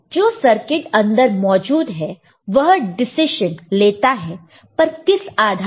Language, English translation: Hindi, Of course, the circuit inside will make the decision, but based on what